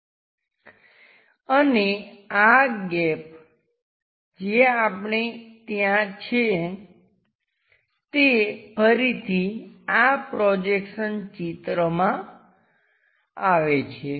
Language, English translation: Gujarati, And this gap whatever we have there again, this projection really comes into picture